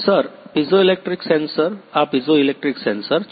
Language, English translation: Gujarati, Sir piezoelectric sensors, these are piezoelectric sensors